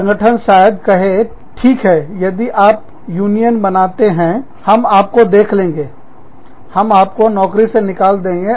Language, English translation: Hindi, The organization may say, okay, if you form a union, we will have you, we will fire you